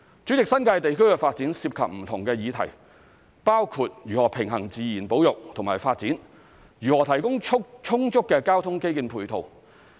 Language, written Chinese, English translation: Cantonese, 主席，新界地區發展涉及不同的議題，包括如何平衡自然保育及發展，如何提供充足的交通基建配套。, President the development of the New Territories involves a variety of issues including how to strike a balance between conservation of nature and development and how to provide adequate ancillary transport infrastructure